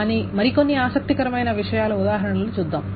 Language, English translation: Telugu, But we'll see examples of some more interesting things